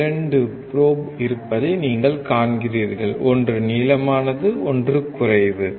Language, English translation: Tamil, You see there are 2 probes: one is longer; one is shorter